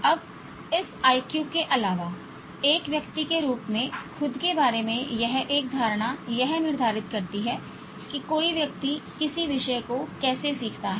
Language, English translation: Hindi, Now, apart from this IQ, one's perception about oneself as a learner determines the way a person learns a subject